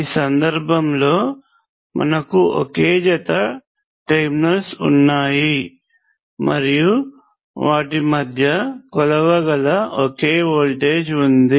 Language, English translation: Telugu, In this case, we have only one pair of terminals and we have just a single voltage that can be measured